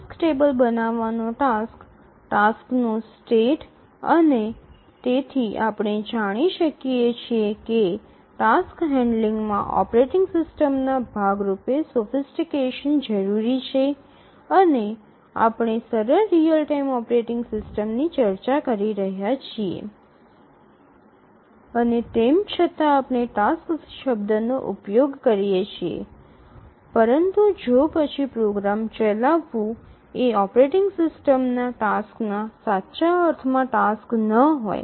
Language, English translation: Gujarati, The task table, creating task, task state and so on, as we know from our knowledge from a basic operating system, task handling requires a lot of sophistication on the part of a operating system and we are now discussing the simplest real time operating system and here even though we use the term tasks but then this may be just running a program